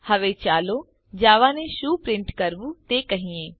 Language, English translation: Gujarati, Now let us tell Java, what to print